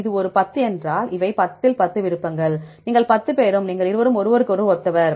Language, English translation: Tamil, If this is a 10, these are 10 options out of 10 you all the 10 you these two are identical to each other